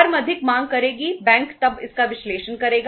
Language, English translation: Hindi, Firm will demand more, bank would then analyze it